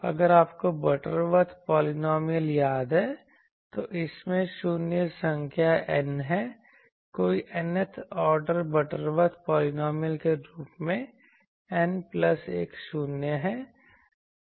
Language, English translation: Hindi, If you remember the Butterworth polynomial that it has n number of 0s any nth order Butterworth polynomial as n plus 1 0s